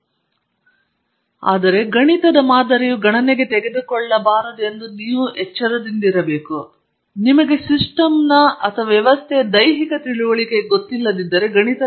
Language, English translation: Kannada, Mathematical modeling and simulation, this is an important part although I must warn you that you should never get into mathematical modeling, if you don’t have a physical understanding of the system